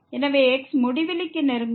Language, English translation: Tamil, So, this will approach to infinity